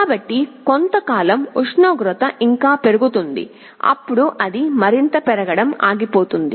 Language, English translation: Telugu, So, temperature will still increase for some time then it will stop increasing any further